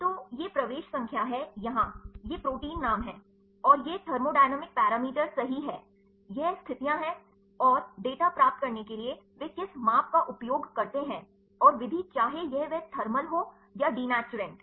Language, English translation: Hindi, So, these are the entry number here, these are protein name and these thermodynamic parameters right, this is the conditions and, which measurement they use to get the data and, the method whether it is thermal or the denaturant and, it can be the complete reference right